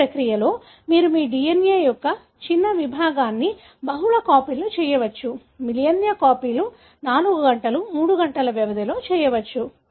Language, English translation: Telugu, In this process, you can make a small segment of your DNA multiple copies; millions of copies can be made in a matter of 4 hours, 3 hours